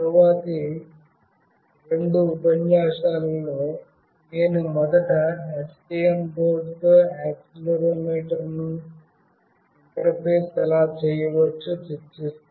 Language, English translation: Telugu, Then in the subsequent next two lectures, I will first discuss that how we can interface an accelerometer with STM board